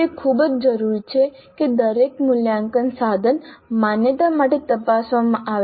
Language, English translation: Gujarati, So it is very essential that every assessment instrument be checked for validity